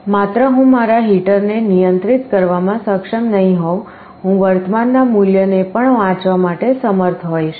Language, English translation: Gujarati, Like not only I should be able to control my heater, I should also be able to read the value of the current temperature